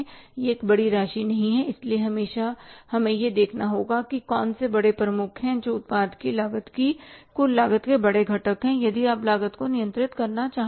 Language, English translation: Hindi, So, always we have to look at which are the bigger heads, which are the bigger components of the cost, total cost of the product and if you want to control the cost